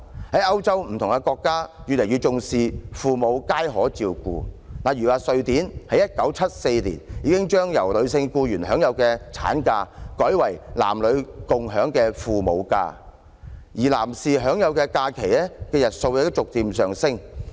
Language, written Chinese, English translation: Cantonese, 在歐洲各國越來越重視父母皆可參與照顧子女，例如瑞典在1974年已經將由女性僱員享有的產假改為男女共享的"親職假"，而男士享有的假期日數亦逐漸上升。, In Europe countries attach increasing importance to the rights for parents to jointly take care of children . For instance Sweden changed in 1974 maternity leave for female employees to parental leave enjoyed by both sexes with the number of leave days for men increasing gradually